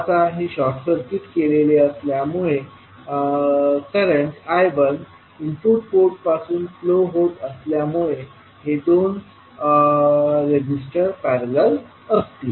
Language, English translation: Marathi, Now, since this is short circuited and current I 1 is flowing form the input port we will have, will see these two resistances in parallel